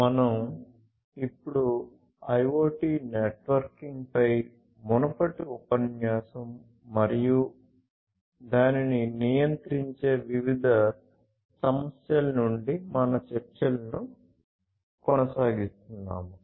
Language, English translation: Telugu, So, we now continue our discussions from the previous lecture on IoT Networking and the different issues governing it